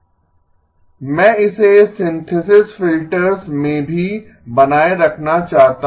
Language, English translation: Hindi, I want to retain it in the synthesis filters as well